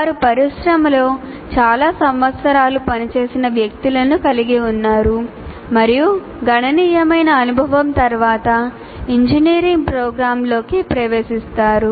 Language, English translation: Telugu, You have people who have worked for several years in the industry and are entering into an engineering program after considerable experience